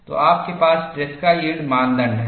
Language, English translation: Hindi, So, you have tresca yield criteria